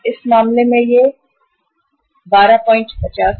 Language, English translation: Hindi, In this case it is 25 Rs